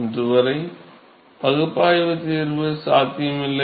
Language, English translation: Tamil, There is no analytical solution possible as of today